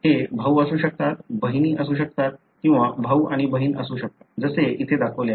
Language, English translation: Marathi, It could be brothers, it could be sisters or it could be brother and sister, like what is shown here